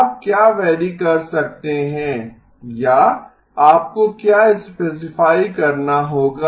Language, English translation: Hindi, What can you vary or what do you have to specify